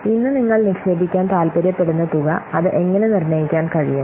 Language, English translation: Malayalam, The amount that we are wanting to invest today how it can be determined